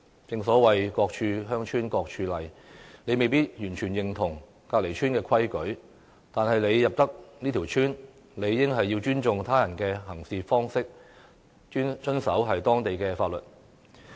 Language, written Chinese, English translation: Cantonese, 正所謂"各處鄉村各處例"，即使不認同鄰村的規矩，但要入村，理應也要尊重別人的行事方式，遵守當地的法律。, As the saying goes each village has its own rules even if one does not agree to the rules concerned if he enters the village he should respect the practices of the village and comply with its rules